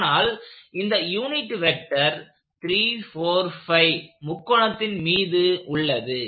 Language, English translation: Tamil, But, the unit vector is on a 3, 4, 5 triangle